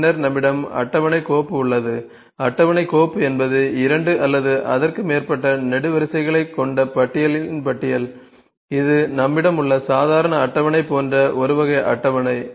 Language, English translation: Tamil, Then we have table file, table file is a list of list with two or more columns it is a kind of a table like normal table we have